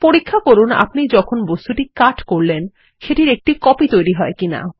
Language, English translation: Bengali, Check if a copy of the object is made when you cut it